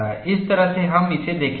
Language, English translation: Hindi, This is the way we will look at it